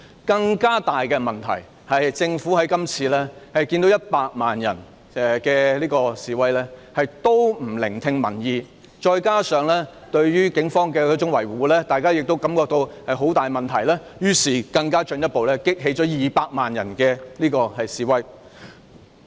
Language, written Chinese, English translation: Cantonese, 更大的問題是，政府即使看到100萬人示威，仍然不聽民意，再加上當局對警方的維護，大家亦感到大有問題，繼而進一步激起200萬人上街示威。, A bigger problem is that the Government despite seeing 1 million people take part in the demonstration continued to turn a deaf ear to the people . Coupled with the authorities shielding the Police people all felt that the problem was alarming thus prompting 2 million people to take to the streets